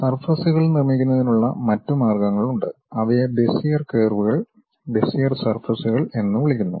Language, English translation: Malayalam, There are other ways of constructing surfaces also, those are called Bezier curves and Bezier surfaces